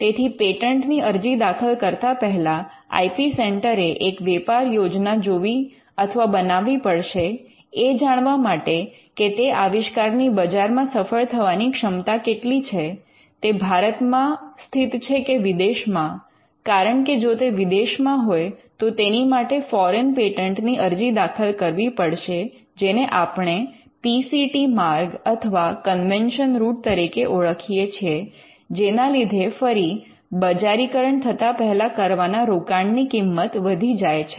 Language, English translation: Gujarati, So, before filing a patent the IP centre will have to look at or draw a business plan as to what is the commercialization potential for this particular invention, whether it resides in India or whether it is abroad because if it is outside India then it would require filing foreign patents by what we call the PCT route or the convention route which again the cost of investment made before the commercialization which is what patenting caused us then that shoots up